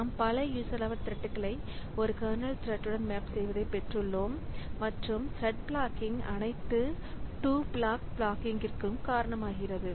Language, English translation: Tamil, So, we have got this many user level threads mapped to a single kernel thread and one thread blocking causes all to block